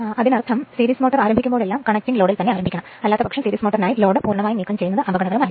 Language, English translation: Malayalam, So that means, series motor whenever you start you have to start with the connecting some load, then you start right otherwise this is dangerous to remove the load completely for series motor